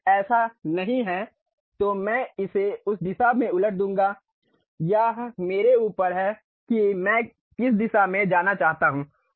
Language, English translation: Hindi, If that is not the case I will reverse it in that direction it is up to me which direction I would like to go